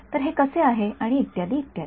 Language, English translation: Marathi, So, how its possible and etcetera etcetera ok